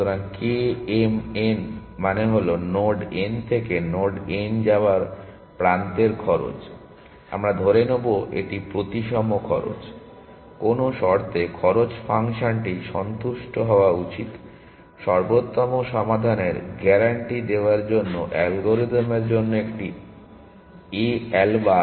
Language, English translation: Bengali, So, k m n stands for cost of edge going from node n to node n, we will assume this is the symmetric cost, what condition should look cost function satisfy, for the a alba for the algorithm to guarantee optimal solutions